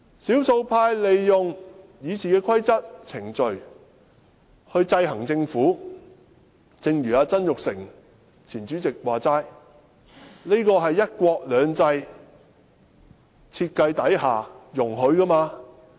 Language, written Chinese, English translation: Cantonese, 少數派利用《議事規則》和程序制衡政府，正如前主席曾鈺成所說，這是"一國兩制"設計之下所容許的。, Actually the attempts of the minority to check the Government with RoP and other procedural means are permitted under one country two systems as also admitted by former Legislative Council President Jasper TSANG